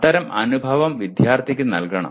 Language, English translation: Malayalam, And that kind of experience should be given to the student